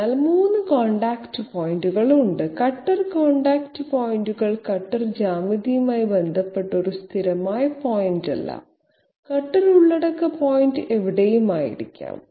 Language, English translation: Malayalam, So this is one cutter contact point, this is another cutter contact point and a 3rd cutter contact point, which shows clearly cutter contact points are not one steady constant point with respect to the cutter geometry, cutter content point might be anywhere